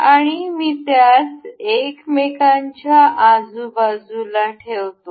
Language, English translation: Marathi, And I am placing it one one beside another